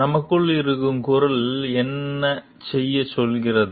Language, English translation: Tamil, What is the voice from within which is telling us to do